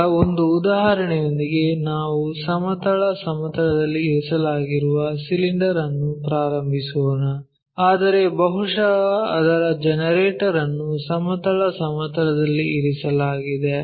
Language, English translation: Kannada, Now, let us begin with one more example a cylinder resting on horizontal plane, but maybe its generator is resting on horizontal plane